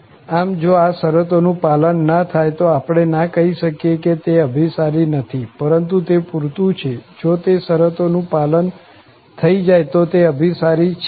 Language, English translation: Gujarati, So, if those conditions are not met, we cannot say that it will not converge, but they are just sufficient, if those conditions are met, this will converge definitely